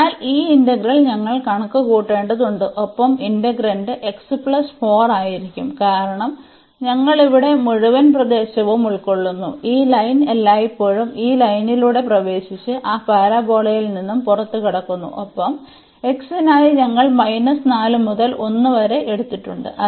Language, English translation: Malayalam, So, this integral we need to compute and the integrand will be x plus 4 and plus we have to yeah that is the only integral because we have cover the whole region here, this line is always entering through this line and exit from that parabola and then for x we have also taken from minus 1 minus 4 to 1